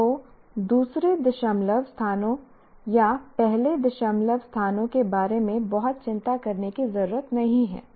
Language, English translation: Hindi, One need not worry very much about the second decimal places or even first decimal places